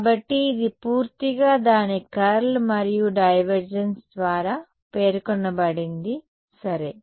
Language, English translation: Telugu, So, its completely specified by its curl and divergence ok